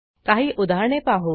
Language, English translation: Marathi, Let us look at some examples